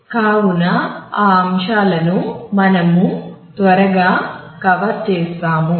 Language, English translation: Telugu, So, these are the topics that we will quickly cover in this